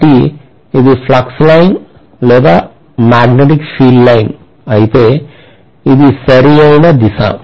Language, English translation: Telugu, So this is the flux line or magnetic field lines whereas this is the current direction